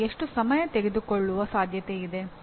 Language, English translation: Kannada, And how much time it is likely to take